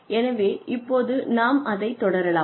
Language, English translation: Tamil, So, let us, get on with this